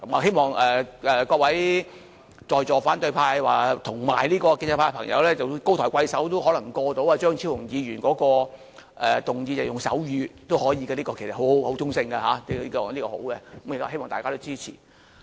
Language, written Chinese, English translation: Cantonese, 希望各位在坐反對派及建制派的朋友高抬貴手，讓張超雄議員的議案獲得通過，即是可以使用手語，這項建議其實是很中性和是好的，希望大家都支持。, I hope all Members from the opposition camp and pro - establishment camp be magnanimous and allow the passage of Dr Fernando CHEUNGs motion . That is to allow the passage of the motion concerning the use of sign language which is a rather neutral and good proposal . I hope Members will support it